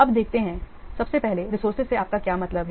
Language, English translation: Hindi, First of all, what do you mean by resource